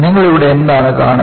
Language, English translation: Malayalam, What do you see here